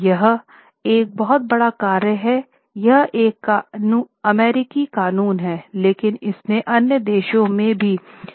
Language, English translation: Hindi, It's an American law but it has affected regulation in other countries also